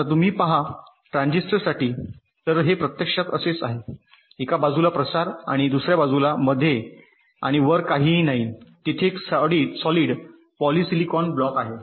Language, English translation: Marathi, so it is actually like this: there is a diffusion on one side, diffusion on the other side, nothing in between, and top there is a solid polysilicon block